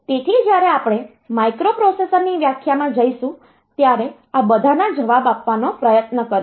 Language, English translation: Gujarati, So, we will try to answer all these when we go into the definition of microprocessor